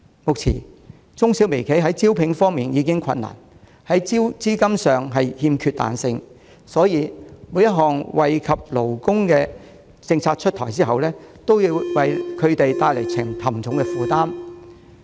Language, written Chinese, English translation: Cantonese, 目前，中小微企在招聘時已遇上困難，在資金上又欠缺彈性，因此，每當有惠及勞工的政策出台，都會為它們帶來沉重負擔。, Given that the micro small and medium enterprises are struggling to recruit staff and enjoys little flexibility on the credit front every policy introduced that is beneficial to the labour sector would bring a heavy burden to bear on those enterprises